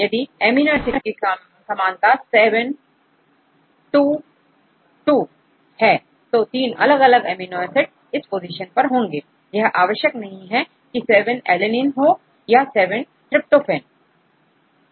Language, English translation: Hindi, Similarity of amino acids if it is 7 2 2 for the 3 different amino acids present at the position, it does not matter if it is 7 is threonine or 7 is alanine or 7 is tryptophan